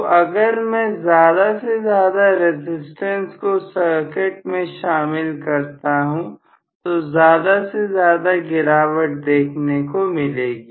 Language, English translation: Hindi, So, if I include more and more resistance, more and more drop would take place